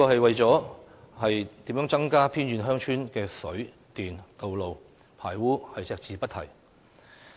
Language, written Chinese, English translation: Cantonese, 為何施政報告對增加偏遠鄉村的水、電、道路及排污設施隻字不提？, How come the Policy Address says nothing about increasing the supply of water and electricity or building more roads and sewerage facilities for remote villages?